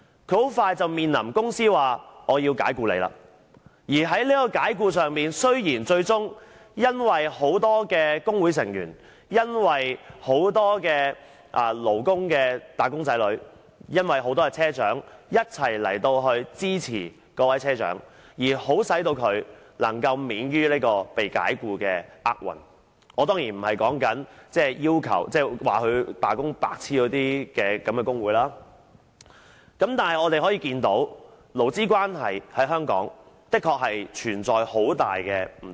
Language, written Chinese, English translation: Cantonese, 她很快便面臨被公司解僱，而雖然最終由於很多工會成員，很多"打工仔女"及車長一同支持葉車長，令她能夠免於被解僱的厄運——我當然不是指那些說她罷工是"白癡"的工會——但我們可以看到，勞資關係在香港的確存在很大的不對等。, She faced dismissal by the company in no time and even though she was eventually spared the misfortune of being sacked thanks to many union members wage earners and bus captains who joined force to throw weight behind her―I certainly do not mean those unions which said that she was an idiot in going on a strike―we can see that there is indeed profound inequality in labour relations in Hong Kong